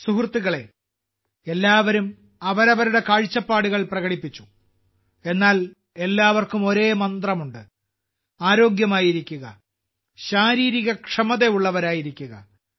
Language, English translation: Malayalam, Friends, everyone has expressed one's own views but everyone has the same mantra 'Stay Healthy, Stay Fit'